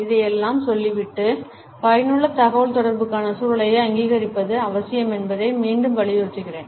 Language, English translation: Tamil, Having said all this, I would reiterate that the recognition of context for effective communication is necessary